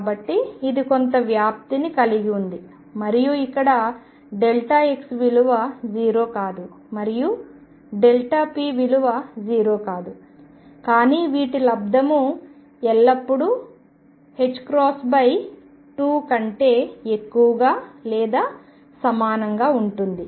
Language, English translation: Telugu, So, it has some spread and this is where delta x is not going to be 0, and delta p is not going to be 0, but the product will always be greater than or equal to h cross by 2